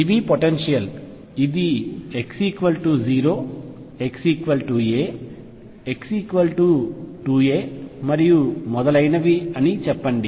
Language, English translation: Telugu, This is a potential, let us say this is at x equals 0 x equals a x equals 2 a and so on